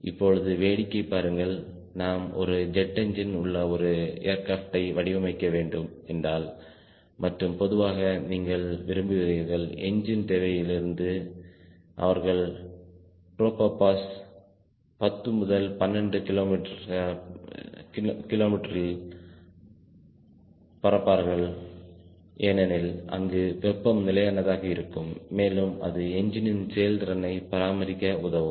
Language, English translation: Tamil, if we have designing an aircraft with a jet engine and all typically you will like that from the engine requirement they will like to fly at tropo powers around ten to twelve kilometers because of temperature being constant ah, and it helps the engine to maintain its efficiency